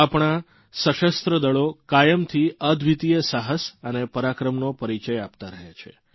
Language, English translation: Gujarati, Our armed forces have consistently displayed unparalleled courage and valour